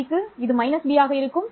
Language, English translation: Tamil, For minus B, this would be minus B and this would be 0